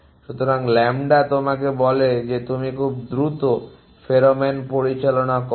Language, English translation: Bengali, So, lambda tells you how fast the pheromone you operates